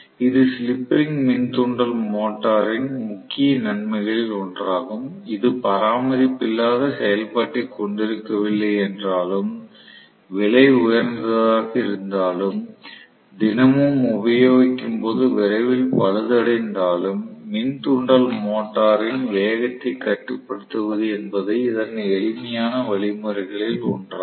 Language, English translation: Tamil, So, this is one of the major plus points of the slip ring induction motor all though it has no maintenance pre operation, it is costlier, it has wear and tear, all those things are there, nevertheless, this is one of the simplest means of controlling speed of the induction motor right